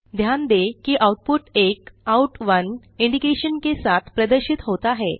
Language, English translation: Hindi, Notice that the output is displayed with an Out[1] indication